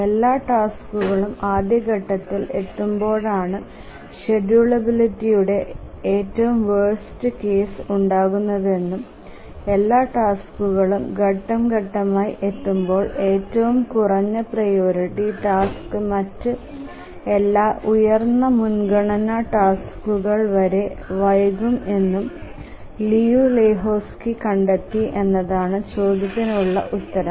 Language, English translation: Malayalam, The answer to that question is that Liu Lehuzki found that the worst case condition for schedulability occurs when all the tasks arrive in phase and that is the time if all tasks arrive in phase then the lowest priority task will get delayed until all other higher priority tasks complete